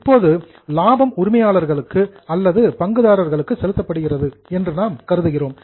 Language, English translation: Tamil, Now we are assuming that that profit is paid to the owners or to the shareholders